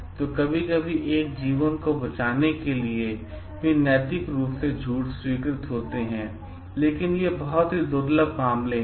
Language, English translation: Hindi, So, sometimes there are ethically sanctioned lies like for saving a life, but these are very rare cases